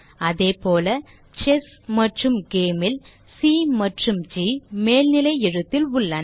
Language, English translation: Tamil, Similarly C and G of ChessGame respectively are in uppercase